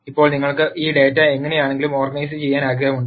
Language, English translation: Malayalam, Now you want to organize this data somehow